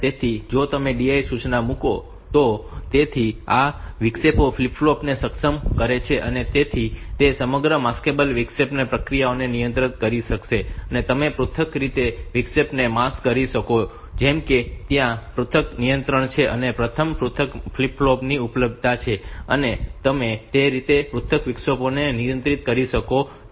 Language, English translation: Gujarati, So, this interrupt enable flip flop so it will control the whole Maskable interrupt process and also you can individually mask out the interrupt like; so there are individual controls individual mask flip flop are available and you can control individual interrupts that way